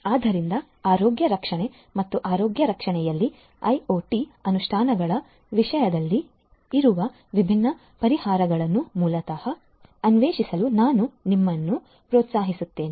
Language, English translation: Kannada, So, I would encourage you to basically explore the different solutions that are there in terms of healthcare and the IoT implementations in healthcare